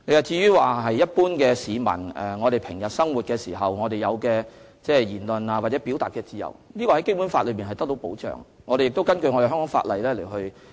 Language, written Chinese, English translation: Cantonese, 至於一般市民在日常生活當中享有的言論或表達自由，《基本法》中已訂明相關保障，我們亦會根據香港的法例行事。, The freedom of speech or of expression enjoyed by the general public in their daily life has been guaranteed under the Basic Law and we will also act in accordance with the Hong Kong legislation